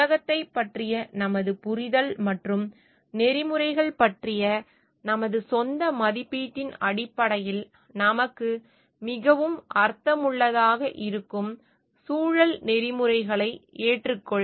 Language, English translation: Tamil, Adopt and environmental ethic that makes more sense to us based on our understanding of the world and our own evaluation of ethics